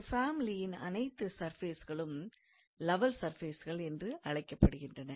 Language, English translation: Tamil, And the family of these surfaces are called as level surfaces